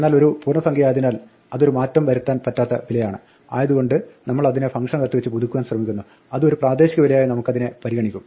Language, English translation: Malayalam, But being an integer it is an immutable value and therefore we try to update it inside the function it will treat it as a local value